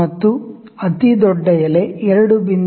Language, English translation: Kannada, And the largest leaf is 2